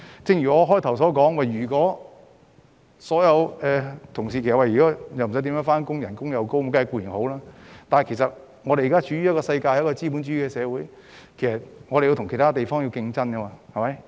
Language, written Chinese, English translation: Cantonese, 正如我在開始時說過，員工不需要經常上班並享高薪金，這固然是好事，但我們現時身處資本主義社會，必須跟其他地方競爭。, As I said at the beginning it is certainly good if employees need not go to work often and can earn high salaries but we have no choice but to compete with other place in a capitalist society